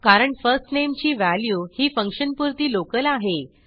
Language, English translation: Marathi, This is because the value of first name is local to the function